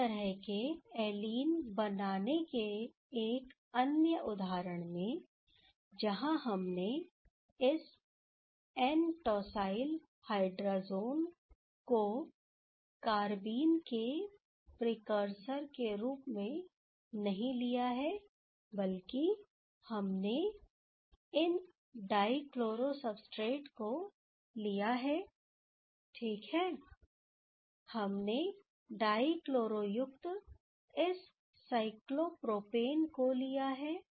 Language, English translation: Hindi, In another example of making such kind of allenes, where we have not taken that as a carbene precursor, we have not taken this N nitrosourea rather we have taken these dichloro substrate ok, this cyclopropane with this dichloro